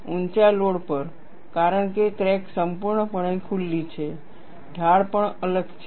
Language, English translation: Gujarati, At higher loads, because the crack is fully opened, the slope is also different